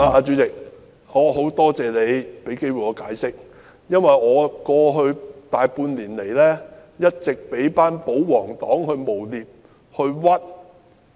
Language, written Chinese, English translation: Cantonese, 主席，我很感謝你讓我有機會解釋，因為在過去大半年，我一直被保皇黨誣衊。, Chairman I thank you for giving me the opportunity to make an explanation because over the past half year or so I have been vilified by the pro - Government camp